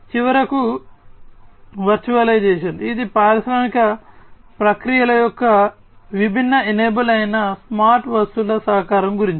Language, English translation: Telugu, And finally the virtualization which is about the collaboration of the smart objects, which are the different enablers of industrial processes